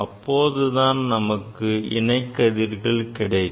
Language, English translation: Tamil, Then will get the parallel rays